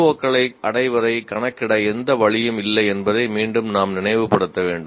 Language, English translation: Tamil, Once again, we should remind there is no the way of computing attainment of C O's